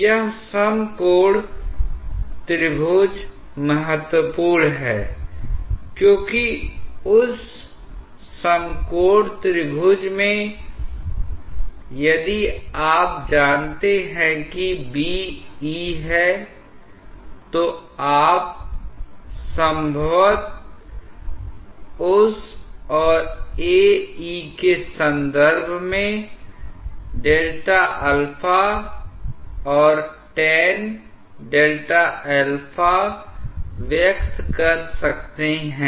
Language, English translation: Hindi, This right angle triangle is important because in that right angle triangle, if you know that what is B prime, E prime, then you may possibly be able to express delta alpha or tan of delta alpha in terms of that and A prime E prime